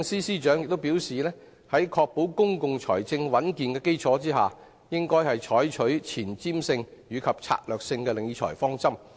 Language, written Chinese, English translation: Cantonese, 司長亦表示，在確保公共財政穩健的基礎上，應採取前瞻性及策略性的理財方針。, The Financial Secretary has also indicated that on the premise of ensuring the health of public finance the Government should adopt forward - looking and strategic financial management principles